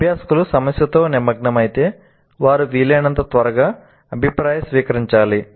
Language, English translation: Telugu, So, once learners engage with the problem, they must receive feedback as quickly as possible